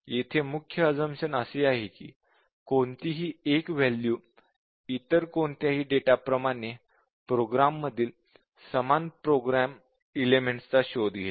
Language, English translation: Marathi, The main assumption here is that, any one element here will be exercising the same set of program elements as any other data here